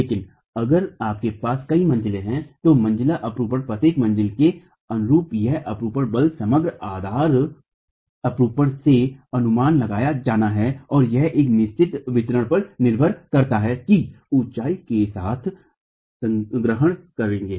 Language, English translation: Hindi, But if you have multiple floors, then the story shear force corresponding to each story has to be estimated from the overall base shear and that depends on a certain distribution that you will assume along the height